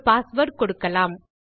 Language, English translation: Tamil, Lets choose one of our passwords